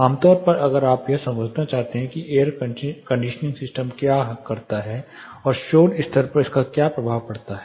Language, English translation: Hindi, Typically if you want to understand what an air conditioning system causes and what it is impact on the noise level